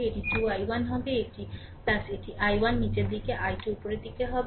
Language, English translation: Bengali, It will be 2 i 1 plus it will be i 1 downwards i 2 upwards